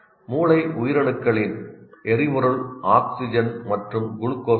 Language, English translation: Tamil, Brain cells consume oxygen and glucose for fuel